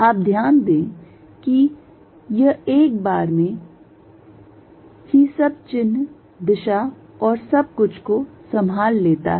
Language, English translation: Hindi, You notice that this takes care of everything signs, direction and everything in one shot